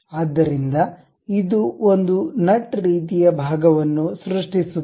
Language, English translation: Kannada, So, it creates a nut kind of a portion